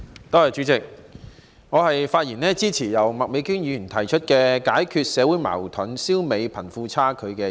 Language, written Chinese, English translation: Cantonese, 代理主席，我發言支持由麥美娟議員提出的"解決社會矛盾，消弭貧富差距"議案。, Deputy President I rise to speak in support of the motion on Resolving social conflicts and eradicating disparity between the rich and the poor which is proposed by Ms Alice MAK